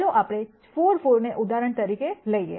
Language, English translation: Gujarati, Let us take this 4 4 as an example